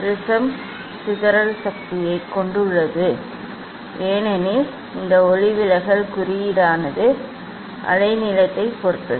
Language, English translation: Tamil, Prism has dispersive power that is because of this refractive index depends on the wavelength